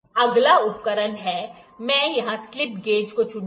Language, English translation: Hindi, Next instrument, I will pick here is slip gauges